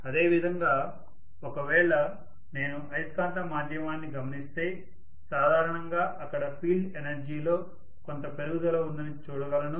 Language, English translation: Telugu, Similarly, if I look at the magnetic via media normally I may see that there is some increase in the field energy also